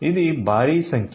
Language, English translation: Telugu, So, this is a huge number